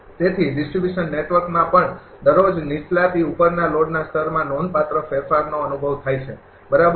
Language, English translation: Gujarati, So, distribution network also experience distinct change from a low to high load level everyday, right